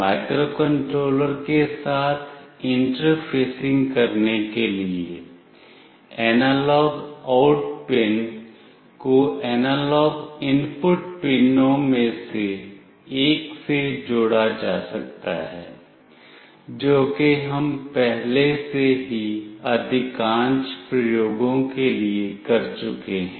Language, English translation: Hindi, For interfacing with the microcontroller, the analog out pin can be connected to one of the analog input pins, so that we have already done for most of the experiments